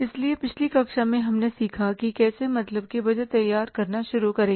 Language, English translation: Hindi, So in the previous class we learned about that how to start preparing the budgets